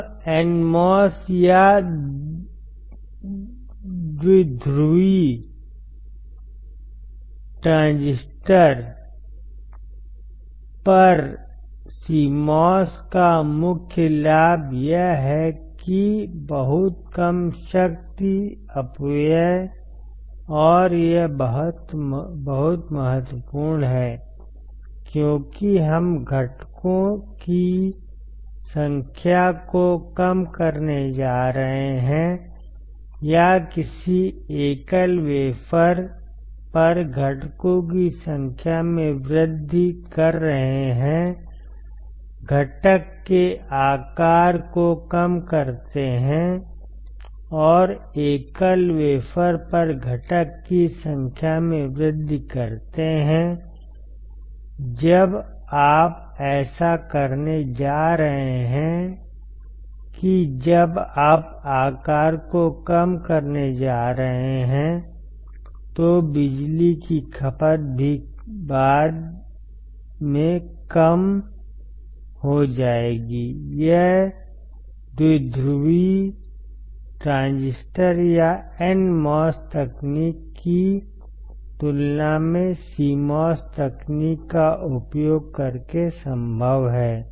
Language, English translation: Hindi, Now, the main advantage of CMOS over NMOS or bipolar transistor is that; much smaller power dissipation, and this is very important, because we are going to reduce the number of components, or increase the number of components on a single wafer , reduce the size of component and increase the number of component on the single wafer, when you are going to do that when you going to reduce the size the power consumption also get subsequently reduced, that is possible by using the CMOS technology compared to bipolar transistor or NMOS technology